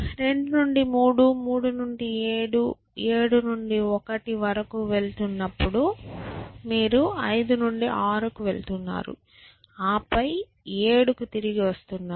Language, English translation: Telugu, So, again from 2 to 3, 3 to 7, 7 to 1 then, you are going to 5 to and then to 6 and then, you are coming back to 7